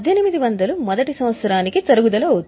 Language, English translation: Telugu, That means 1 800 will be the depreciation for year 1